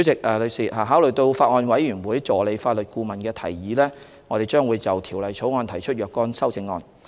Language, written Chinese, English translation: Cantonese, 代理主席，考慮到法案委員會助理法律顧問的提議，我們將會就《條例草案》提出若干修正案。, Deputy President taking into account the suggestions of the Assistant Legal Adviser to the Bills Committee we will propose some CSAs to the Bill